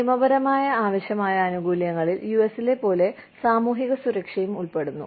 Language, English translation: Malayalam, Legally required benefits include, social security, as in the US